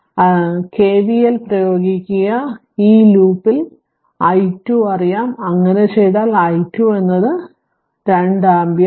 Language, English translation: Malayalam, Therefore, you apply your what you call KVL, here in this loop i 2 is known so, if you do so let me so i 2 is minus 2 ampere